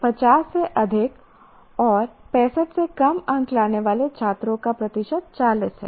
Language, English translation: Hindi, Percentage of students greater than 50 and less than 65 is 40